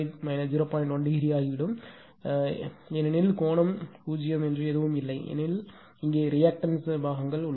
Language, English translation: Tamil, 1 degree because there is nothing means it is angle is 0 because here you have known reactive parts